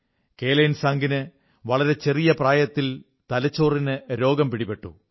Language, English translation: Malayalam, Kelansang suffered from severe brain disease at such a tender age